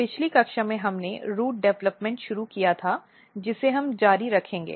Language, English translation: Hindi, So, in last class we started studying Root Developments